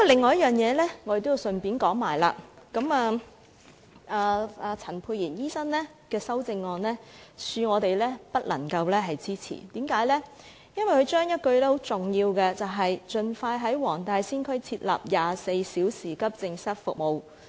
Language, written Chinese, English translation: Cantonese, 我要順帶一提另一點，陳沛然議員的修正案，恕我們不能夠支持，因為他刪除了很重要的一句，就是"在黃大仙區設立24小時急症室服務"。, I need to mention another point in passing . Sorry we cannot support Dr Pierre CHANs amendment because he has deleted a very important part from the sentence which is introducing 24 - hour accident and emergency services the Wong Tai Sin district . We have worked in the districts especially Kowloon East for years